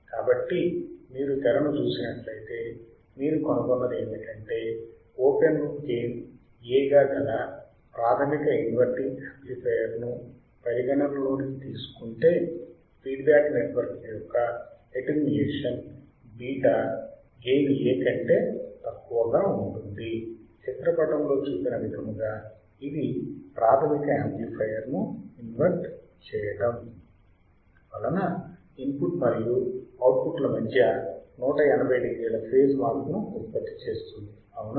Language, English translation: Telugu, So, if you see the screen what we find is that considering a basic inverting amplifier with an open loop gain A, the feedback network attenuation beta is less than a unity as a basic amplifier inverting it produces a phase shift of 180 degree between input and output as shown in figure right